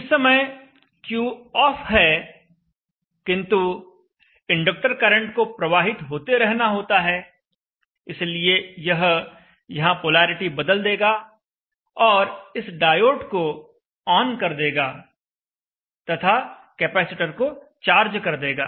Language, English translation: Hindi, During the time when Q is off Q is off but the inductor current has to continue to flow so it will change polarity here and it will drive this diode on and charge up the capacitance and also the current will flow through the load and supply the load